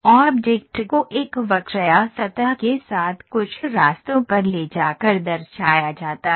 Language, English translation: Hindi, The object is represented by moving a curve or a surface along a some path